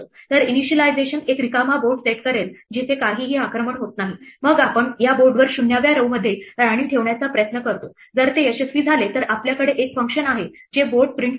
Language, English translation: Marathi, So, initialization will setup an empty board where nothing is under attack then we try to place a queen in the 0th row on this board, if it succeeds then we have a function which prints the board